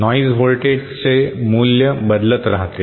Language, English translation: Marathi, The value of the noise voltage keeps on varying